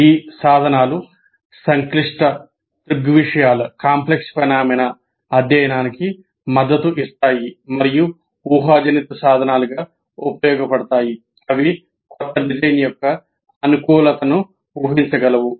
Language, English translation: Telugu, And these tools support the study of complex phenomena and as a predictive tools they can anticipate the suitability of a new design